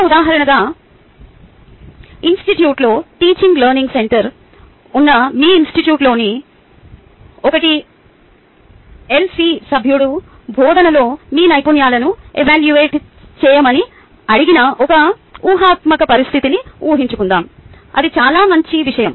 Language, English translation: Telugu, just as an example, lets assume a hypothetical situation where a tlc member at your institute, which is the teaching learning center at the institute, has been asked to evaluate your skills at teaching